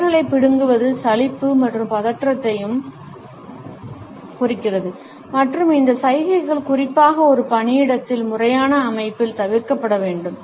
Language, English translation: Tamil, Fidgeting fingers also indicate boredom and tension and these gestures should be avoided particularly in a workplace in a formal setting